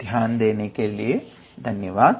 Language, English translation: Hindi, So, thank you for your attention